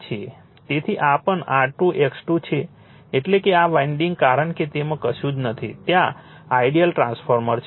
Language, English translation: Gujarati, So, and this is also R 2 X 2 that means, this winding as it nothing is there, there ideal transformer